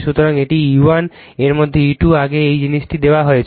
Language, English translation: Bengali, So, this is my E 1, in this is my E 2, earlier is this thing is given